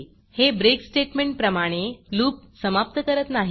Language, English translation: Marathi, Unlike the break statement, however, it does not exit the loop